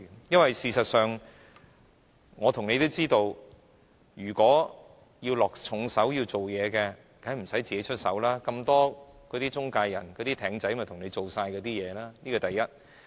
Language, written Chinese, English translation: Cantonese, 因為，事實上，我和你都知道，如果要落重手、要做工夫，當然無需自己動手，那些中介人、"艇仔"會幫忙處理，這是第一點。, I am afraid this is no different from climbing a tree to catch fish because we all know that they surely do not need to do it themselves if they want to use a heavy hand